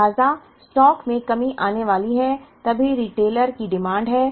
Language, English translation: Hindi, So, the stock is going to come down, only when there is a demand from the retailer